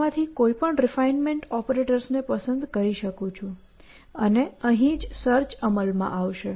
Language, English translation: Gujarati, So, I could choose any one of these refinement operators, and that is where the search will come into play